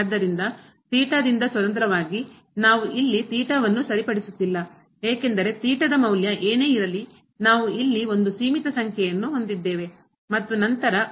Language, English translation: Kannada, So, independent of theta, we are not fixing theta here because whatever the value of theta is we have a finite number here and then, goes to 0 then this will become 0